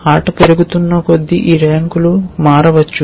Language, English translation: Telugu, But as the game progresses these ranks might change